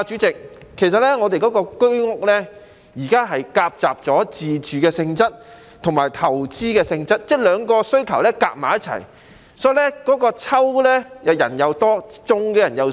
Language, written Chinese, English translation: Cantonese, 局長，主席，我們的居屋現時夾雜了自住性質和投資性質，即兩種需求夾雜在一起，所以抽籤的人多，中籤的人少。, Secretary President HOS flats serve the mixed purposes of self - occupation and investment meaning that the two are mixed together . That is why there are so many people at the ballot drawing but very few of them will win the ballots